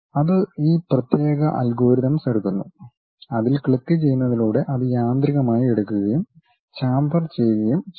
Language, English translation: Malayalam, So, that specialized algorithms it takes and by just clicking it it automatically takes and chamfers the thing